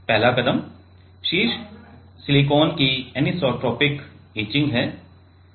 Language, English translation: Hindi, One is first step is anisotropic etching of top silicon